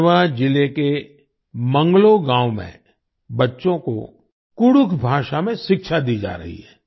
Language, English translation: Hindi, Children are being imparted education in Kudukh language in Manglo village of Garhwa district